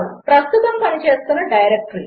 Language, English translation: Telugu, The third one.The current working directory